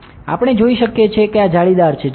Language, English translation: Gujarati, We can see here this is the mesh